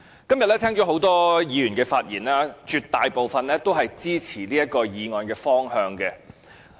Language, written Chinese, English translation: Cantonese, 今天聽到很多議員的發言，絕大部分都是支持這項議案的方向。, Today I have listened to the speeches of many Members and the majority of them support the direction of the motion